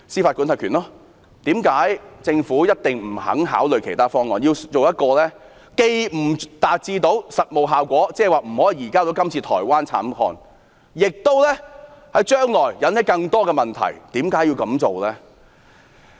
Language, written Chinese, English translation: Cantonese, 為何政府不肯考慮其他方案，偏要選擇一種既不能達致實務效果，無法移交台灣慘案中的疑犯，將來亦會引起更多問題的做法？, Why does the Government refuse to consider other options but choose an approach that cannot achieve the practical effect of surrendering the suspected offender of the Taiwan homicide to Taiwan but will give rise to many problems in the future?